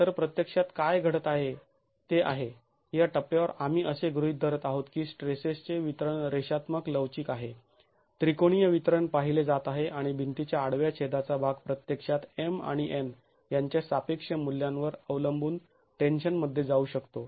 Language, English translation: Marathi, So, what is actually happening is under, if we are, at this stage we are assuming that the distribution of stresses is linear elastic, triangular distribution is seen and part of the wall cross section can actually go into tension depending on the relative values of M and N